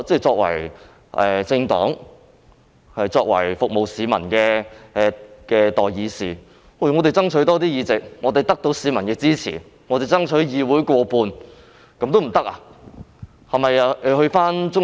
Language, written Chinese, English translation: Cantonese, 作為政黨及服務市民的代議士，我們既然獲得市民的支持，難道不可以爭取議會內過半數議席嗎？, As representatives of political parties and of the people why cant we strive to obtain the majority seats in the Council with the support of members of the public?